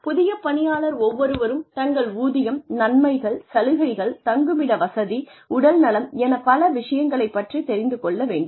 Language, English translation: Tamil, Then, every new employee needs to know, where they can go to, find out more about their salary, about their benefits, about their emoluments, about accommodation, about health, about this and that